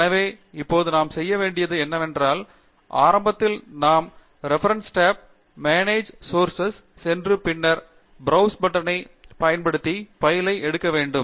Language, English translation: Tamil, So what we now need to do is, initially we go to the References tab, Manage Sources, and use the Browse button to pick up the file